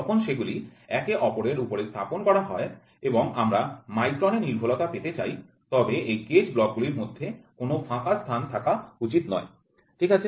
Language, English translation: Bengali, When they are placed one above each other and we are looking forward for micron accuracy, then there should not be any gap between these gauge blocks, ok